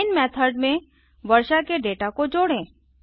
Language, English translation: Hindi, Within the main method, let us add the rainfall data